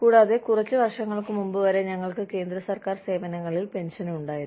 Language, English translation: Malayalam, And, we have, we used to have, pension in the central government services, till a few years ago